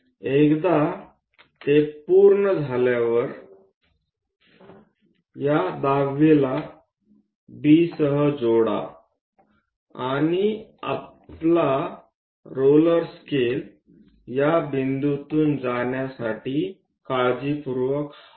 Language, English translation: Marathi, Once it is done, join these 10th one with B and move our roller scale to carefully pass through these points